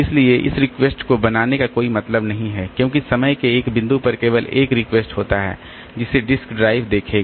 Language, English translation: Hindi, So, there is no point making this request skewed up because at one point of time there is only one request that the disk drive will see